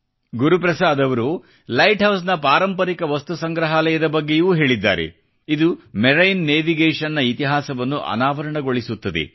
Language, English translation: Kannada, Guru Prasad ji also talked about the heritage Museum of the light house, which brings forth the history of marine navigation